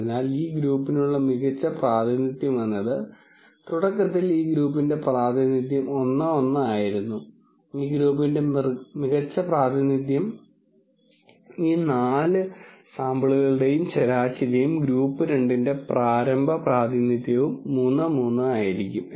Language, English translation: Malayalam, So, a better representation for this group, so initially the representation for this group was 1 1, a better representation for this group would be the mean of all of these 4 samples and the initial representation for group 2 was 3 3 , but a better representation for group 2 would be the mean of all of these points